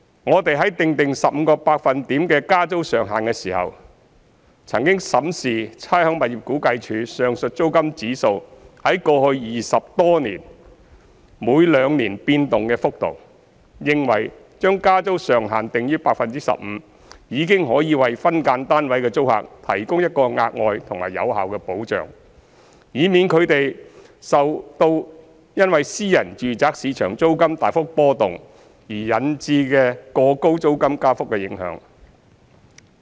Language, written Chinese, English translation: Cantonese, 我們在訂定 15% 的加租上限時，曾審視差餉物業估價署上述租金指數在過去20多年間每兩年變動的幅度，認為將加租上限訂於 15% 已經可以為分間單位的租客提供一個額外及有效的保障，以免他們受因私人住宅市場租金大幅波動而引致的過高租金加幅的影響。, In setting the rent increase cap we have reviewed the biennial movement of the aforesaid rental index of RVD during the past some 20 years and considered that setting the cap at 15 % would already provide an additional and effective safeguard to protect SDU tenants against any unduly high level of rent increase as a result of huge rental fluctuation in the private residential market